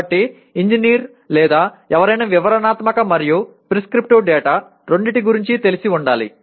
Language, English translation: Telugu, So an engineer or anyone should be familiar with both descriptive and prescriptive data